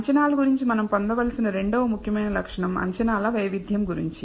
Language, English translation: Telugu, The second important property that we need to derive about the estimates is the variability of estimates